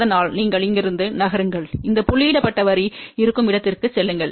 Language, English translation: Tamil, So, you move from here, go up to a point where this dotted line is there